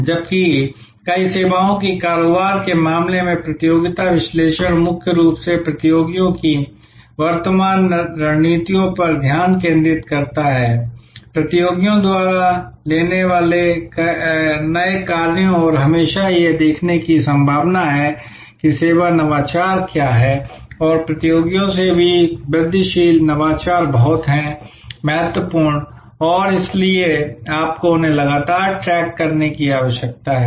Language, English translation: Hindi, Whereas, in case of many services businesses, the competition analysis is mainly focused on what are the current strategies of the competitors, the new actions that competitors likely to take and always looking at what are the service innovations and even incremental innovations from competitors are very crucial and therefore, you need to constantly track them